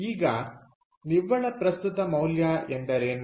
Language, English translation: Kannada, now, what is the net present value